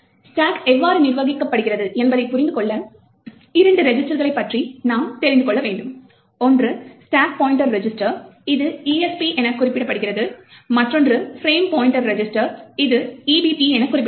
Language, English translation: Tamil, To understand how the stack is manage we would have to know about two registers, one is the stack pointer register which is denoted as ESP and the other one is the frame pointer register which is denoted EBP